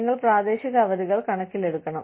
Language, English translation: Malayalam, You have to take, local holidays into account